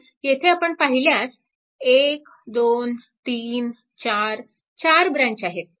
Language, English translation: Marathi, So, if you look into that 1 2 3 4 four branches are there